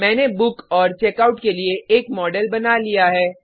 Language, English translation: Hindi, I have also created a model for Book and Checkout